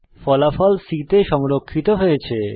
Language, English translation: Bengali, The result is stored in c